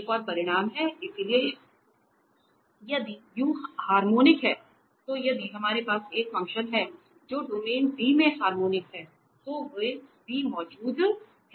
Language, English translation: Hindi, There is another result, so if u is harmonic, so if we have a function which is harmonic in a domain D then there exists a v